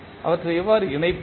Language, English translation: Tamil, How we will connect them